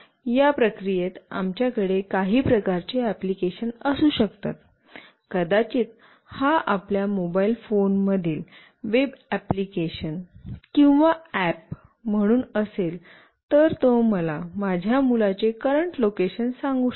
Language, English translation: Marathi, In this process we can have some kind of application maybe it as a web application or an app in your mobile phone, it should able to tell me the current location of my child